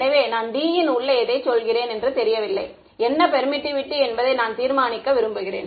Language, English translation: Tamil, So, I am saying anything inside D is unknown I want to determine what is the permittivity